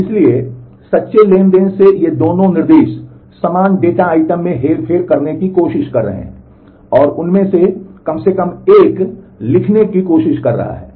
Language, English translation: Hindi, So, these 2 instructions from true transactions are trying to manipulate the same data item, and at least one of them is trying to write